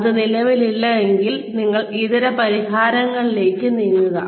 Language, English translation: Malayalam, If it does not exist, then you move down to alternate solutions